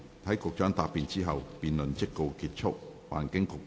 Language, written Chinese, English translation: Cantonese, 在局長答辯後，辯論即告結束。, The debate will come to a close after the Secretary has replied